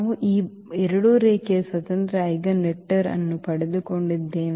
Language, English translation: Kannada, So, we got this two linearly independent eigenvector